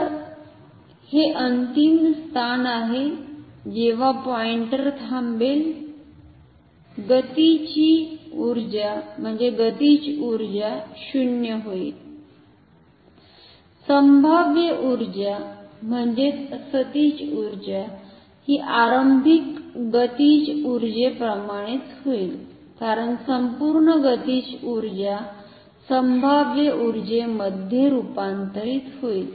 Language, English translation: Marathi, So, at it is final position when the pointer stops the kinetic energy will become 0, potential energy will become same as the initial kinetic energy, because the entire kinetic energy will be converted into potential energy